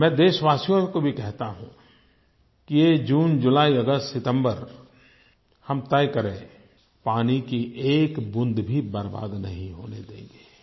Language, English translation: Hindi, I urge the people of India that during this June, July, August September, we should resolve that we shall not let a single drop of water be wasted